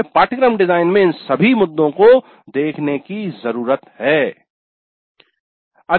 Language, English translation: Hindi, So we need to look at all these issues in the course design